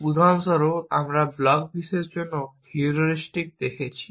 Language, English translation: Bengali, For example, we looked at heuristic for the blocks world